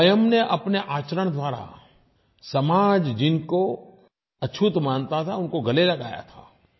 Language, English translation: Hindi, Through his own conduct, he embraced those who were ostracized by society